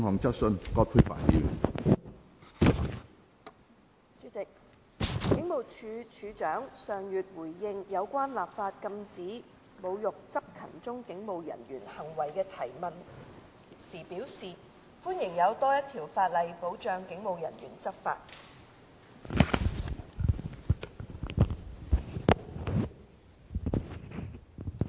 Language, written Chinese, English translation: Cantonese, 主席，警務處處長上月回應有關立法禁止侮辱執勤中警務人員行為的提問時表示，歡迎有多一條法例保障警務人員執法。, President last month in response to the question on enacting legislation to prohibit acts of insulting police officers on duty the Commissioner of Police indicated that he welcomed another piece of legislation to protect police officers in the enforcement of the law